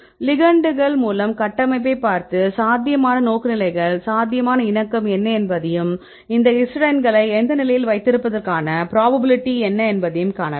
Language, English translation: Tamil, With the ligands you can look at the structure and see what are the probable orientations probable conformation and what are the probability of having this histidines right in which state